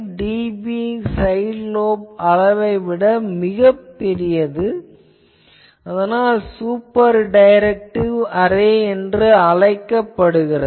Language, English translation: Tamil, 5 dB side lobe level that is called super directive array